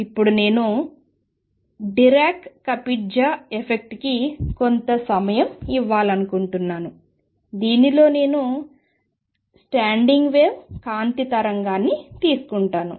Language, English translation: Telugu, Now having done that I also want to give some time to Dirac Kapitza effect in which what we said is that if I take a standing wave of light